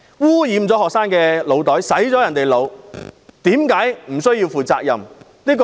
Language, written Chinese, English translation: Cantonese, 污染了學生的腦袋，令他們被"洗腦"，為何不需要負責任？, Why shouldnt some people be held responsible for polluting students brains and brainwashing them?